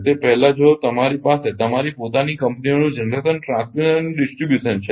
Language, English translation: Gujarati, That earlier earlier if you have your own companies generation, transmission and distribution